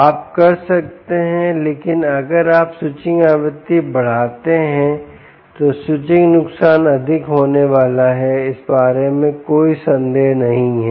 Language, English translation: Hindi, but if you increase the switching frequency, the, the switching losses are going to be high